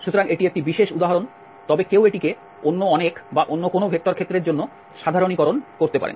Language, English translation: Bengali, So, this is a particular example, but one can generalise this for many other or any other vector field